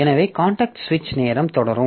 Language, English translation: Tamil, So, contact switching time will go on